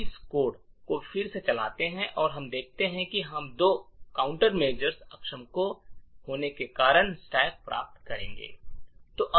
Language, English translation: Hindi, We run this code again and we see that we obtain the stack due to the two countermeasures being disabled